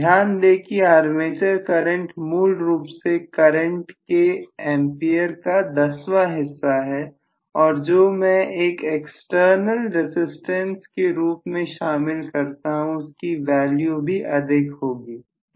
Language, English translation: Hindi, Please imagine the armature current is basically tenths of amperes of current and what I am including as an external resistance is going to have again probably some amount of large value, right